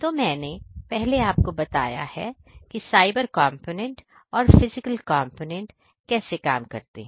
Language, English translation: Hindi, So, as I told you before that there is a cyber component and the physical component of these systems which work hand in hand